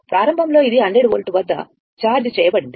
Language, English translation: Telugu, Initially, it was charged at 100 volt, right